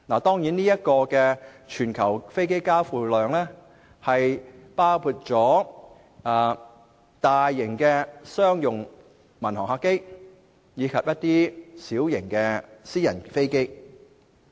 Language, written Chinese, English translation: Cantonese, 當然，這全球飛機交付量包括大型商用民航客機及小型私人飛機。, Of course this number includes large civilian aircraft for commercial purposes and small private planes